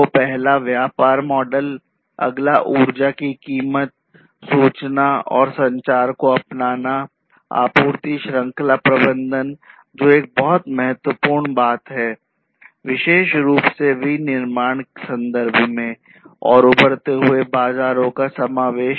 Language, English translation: Hindi, So, the first one is the business models, the next one is the energy price, information and communication technology adoption, supply chain management, which is a very very important thing, particularly in the manufacturing context, and the inclusion of emerging markets